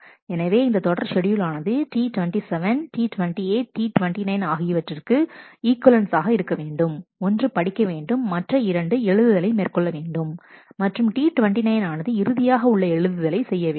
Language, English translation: Tamil, So, the serial schedule that this is equivalent to is T 27 T 28 T 29 and, the 1 reads and the other 2 rights and T 29 performs a final right